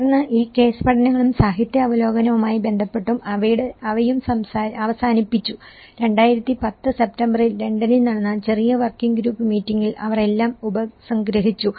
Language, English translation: Malayalam, Then, following these case studies and relating to the literature review, they also ended up, they concluded with the kind of small working group meeting which has been held in London in September 2010